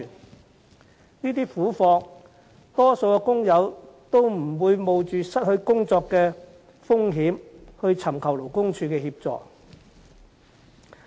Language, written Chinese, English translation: Cantonese, 面對這些苦況，大多數的工友也不會冒着失去工作的風險尋求勞工處協助。, Despite these miserable conditions most workers will not run the risk of losing their jobs by seeking assistance from LD